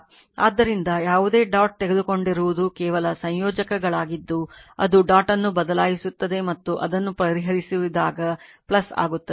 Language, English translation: Kannada, So, you have whatever whateverdot you have taken according is just combiners it will inter change the dot and solve it it will become plus right